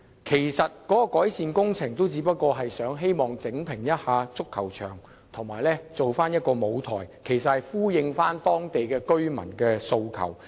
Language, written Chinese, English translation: Cantonese, 其實，有關改善工程只不過是重新鋪設足球場及搭建一個舞台，以回應當地居民的訴求。, This proposed works project is just re - laying of the soccer pitch and the erection of a stage in response to the needs of local residents